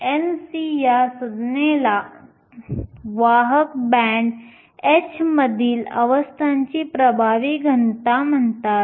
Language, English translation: Marathi, This term n c is called the effective density of states at the conduction band h